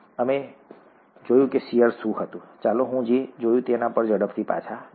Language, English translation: Gujarati, We saw what shear was, let me quickly go back to what we saw